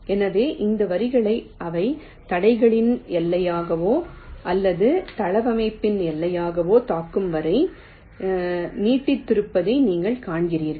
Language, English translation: Tamil, so you see, here we have extended this lines till they either hit the boundaries of the obstructions, the obstructions, or the boundaries of the layout